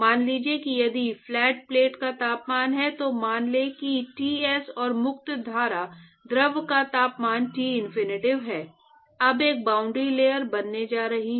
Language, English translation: Hindi, So, supposing if the temperature of the flat plate is, let us say Ts and the temperature of the free stream fluid is Tinfinity, now there is going to be a boundary layer